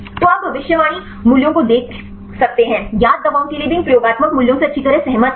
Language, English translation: Hindi, So, you can see the predicted values; agree well with these experimental values even for the known drugs